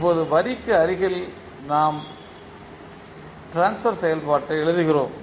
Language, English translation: Tamil, Now adjacent to line we write the transfer function